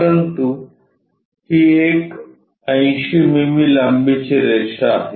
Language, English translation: Marathi, But, it is a 80 mm long line